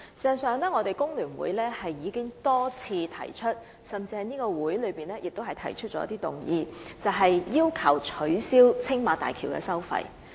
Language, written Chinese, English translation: Cantonese, 事實上，工聯會曾經多次提出，甚至在本會提出議案，要求政府取消青馬大橋收費。, In fact the Hong Kong Federation of Trade Unions has put forward proposals repeatedly and even proposed motions in this Council to urge the Government to abolish the Tsing Ma Bridge toll